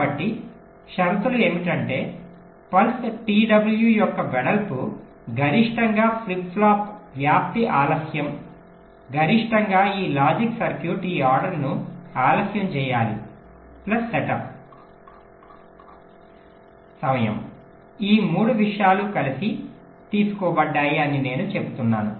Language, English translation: Telugu, so the condition is your: this width of the pulse, t w must be equal to maximum of flip flop propagation delay maximum of this logic circuit, delay this order i am saying plus setup of time